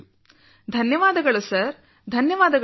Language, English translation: Kannada, Thank you sir, thank you sir